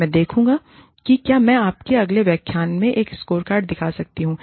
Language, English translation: Hindi, I will see, if i can show you a scorecard, in the next lecture